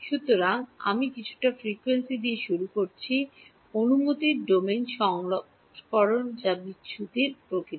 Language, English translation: Bengali, So, I started with some frequency domain version of the permittivity which is the dispersive nature